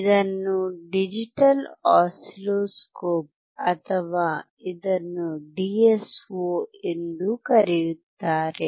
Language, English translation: Kannada, This is digital oscilloscope or it is also called DSO